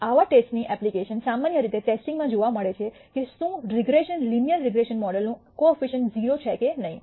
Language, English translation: Gujarati, The application of such a test is usually found in testing whether the coefficient of a regression linear regression model is 0 or not